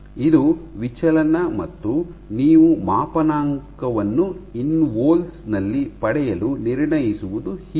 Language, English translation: Kannada, So, your deflection and this is how you calibrate to obtain InVols